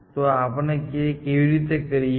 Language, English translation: Gujarati, So, how do we do this